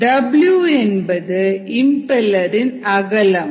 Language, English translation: Tamil, w is the width of impeller